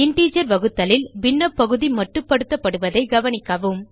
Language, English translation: Tamil, Please note that in integer division the fractional part is truncated